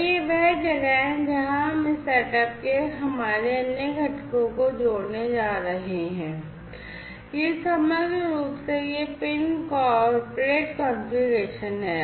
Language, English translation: Hindi, And this is where we are going to connect our other components of this setup, this is this pin corporate configuration overall